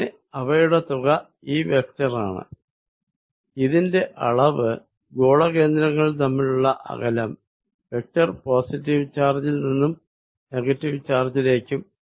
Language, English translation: Malayalam, So, their sum is this vector whose magnitude that distance between the centres of theses spheres and vector is from positive charge towards the negative charge